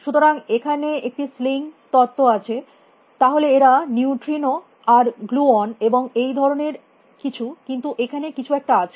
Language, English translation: Bengali, So, there is a sling theory, then they are neutrinos and gluons and that kind of stuff, but there is something out there